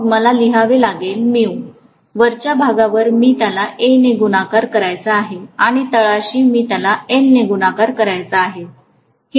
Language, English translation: Marathi, On the top I have to multiply it by A and at the bottom I have to multiply it by L